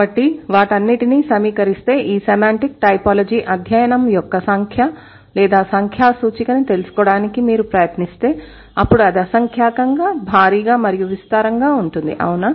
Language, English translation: Telugu, So, putting everything together, if you try to find out the number or a numerical indication of this study, a semantic typology, then it's going to be innumerable, it's going to be huge, it's going to be vast, right